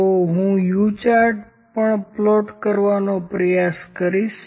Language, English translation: Gujarati, So, I will try to plot the U chart as well, here U chart